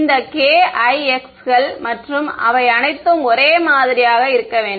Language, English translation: Tamil, All these k i x’s and all they should all be the same right